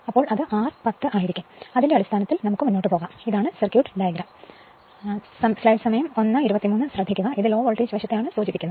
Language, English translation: Malayalam, So, based on that we will move so this is the circuit diagram that it is refer to low voltage side